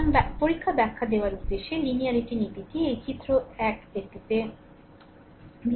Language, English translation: Bengali, So, for the purpose of the exam explaining, the linearity principle is consider this figure 1 right